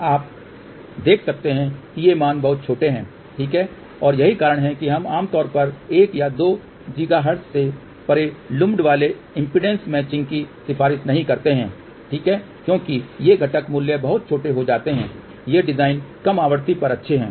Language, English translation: Hindi, Now, you can see that these values are very small ok and which does happen, that is why we do not generally recommend lumped impedance matching beyond 1 or 2 gigahertz ok because these component values become very small these are good designs at lower frequency